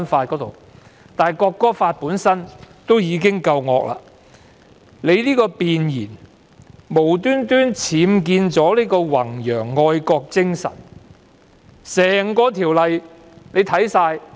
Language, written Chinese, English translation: Cantonese, 《條例草案》本身已是一條惡法，其弁言更無故僭建了"弘揚愛國精神"這個提述。, The Bill is an evil law and its Preamble has added for no reason the reference to promote patriotism